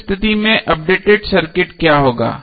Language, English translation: Hindi, So what will be the updated circuit in that case